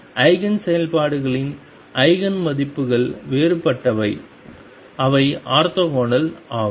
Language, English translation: Tamil, The Eigenigen functions whose Eigen values are different, they are orthogonal